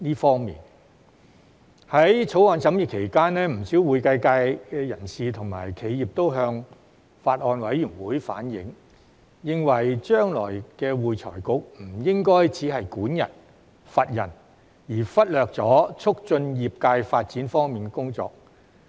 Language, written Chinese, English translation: Cantonese, 在《條例草案》審議期間，不少會計界人士和企業都向法案委員會反映，認為將來的會財局不應只是管人、罰人，而忽略促進業界發展方面的工作。, During the deliberations on the Bill many members of the accounting profession and enterprises conveyed the view to the Bills Committee that the future AFRC should not merely focus on controlling and punishing people to the neglect of the work to promote the development of the industry